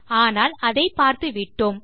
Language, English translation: Tamil, But we have covered that